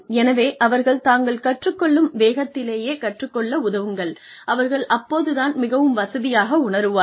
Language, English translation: Tamil, So, help them learn at a speed, that they feel, most comfortable with